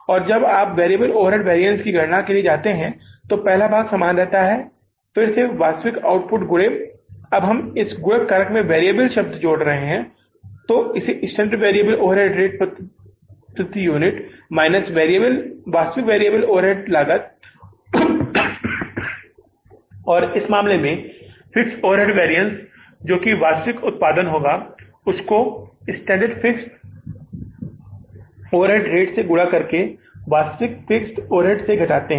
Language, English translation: Hindi, And when you go for calculating the variable overhead variance, so first part is remaining the same, again actual output into, now the word variable we are adding into the multiplying factor that is the standard variable overhead rate per unit minus actual variable overhead cost total cost, actual variable overhead cost